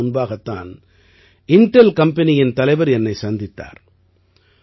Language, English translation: Tamil, Just a few days ago I met the CEO of Intel company